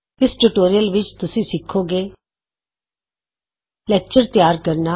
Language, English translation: Punjabi, In this tutorial, you will learn how to: Create a lecture